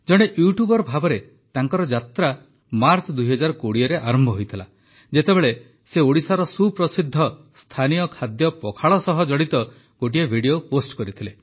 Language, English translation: Odia, His journey as a YouTuber began in March 2020 when he posted a video related to Pakhal, the famous local dish of Odisha